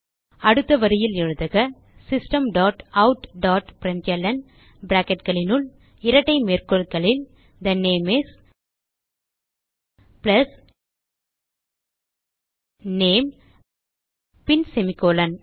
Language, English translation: Tamil, Next line type System dot out dot println within brackets and double quotes The name is plus name and semicolon